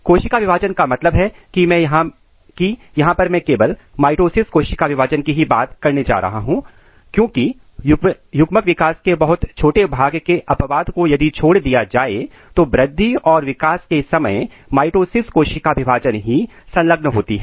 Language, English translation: Hindi, Cell division means here I am going to talk about the mitosis cell division because during growth and development only mitosis cell divisions are involved except a very small part of the gametes development